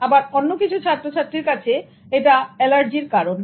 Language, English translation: Bengali, Whereas for some of the students, it's causing much of allergy